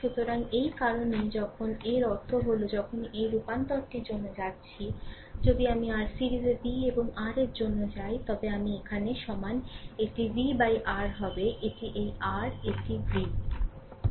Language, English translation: Bengali, So, that is why this when you just let me clear it that means whenever you are going for this transformation that ifI go for v and R in your series, then i is equal to here, it will be v upon R right this is v this is R